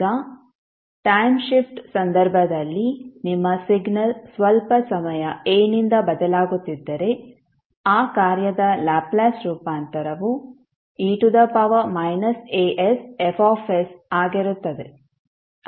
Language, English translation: Kannada, Now, in case of time shift if your signal is shifting by sometime say a, the Laplace transform of that function would be e to the power mi us a s into F s